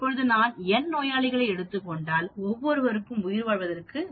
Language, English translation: Tamil, Now, if I take n patients then survival for each one is 0